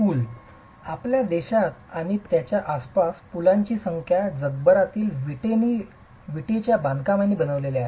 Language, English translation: Marathi, Bridges, extensive number of bridges in and around our country all over the world are built in, are built using brick or stone masonry